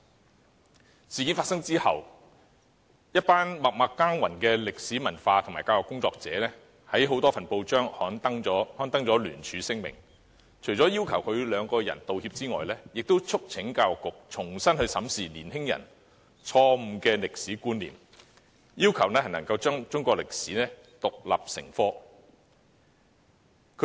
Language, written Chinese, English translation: Cantonese, 這事件發生後，"一群默默耕耘的歷史文化及教育工作者"在多份報章刊登聯署聲明，除了要求他們兩人道歉以外，亦促請教育局重新審視年輕人錯誤的歷史觀念，並要求規定中史獨立成科。, After this incident a group of behind - the - scene history and culture workers and educators published a joint statement in a number of newspapers to demand an apology from the duo and urge the Education Bureau to review afresh the incorrect historical concepts of young people . They also requested the authorities to stipulate Chinese History as an independent subject